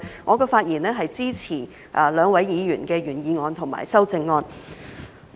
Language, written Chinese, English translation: Cantonese, 我發言是支持兩位議員的原議案及修正案。, I speak in support of the original motion and amendment of these two Members